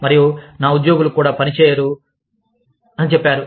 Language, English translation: Telugu, And says, that even my employees, will not work